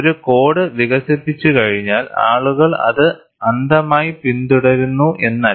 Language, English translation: Malayalam, It is not that, once a code is developed, people follow it blindly; it is not so